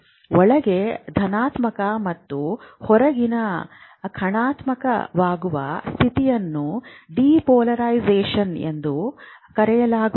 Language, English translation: Kannada, This state of inside becoming positive and outside become negative is called depolarization